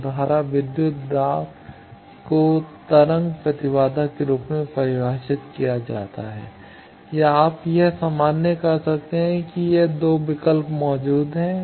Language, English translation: Hindi, So, defined form voltage by current either as wave impedance or you can normalize that this 2 choices are existing